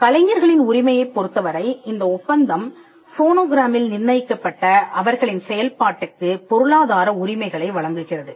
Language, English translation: Tamil, With regard to the right of performers the treaty grants performers economic rights in their performances fixed in phonograms